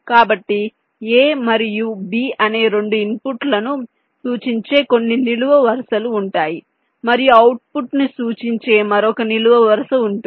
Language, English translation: Telugu, ok, so there will be some vertical lines that will represent the two inputs, a and b, and there will be another vertical line that will represent the output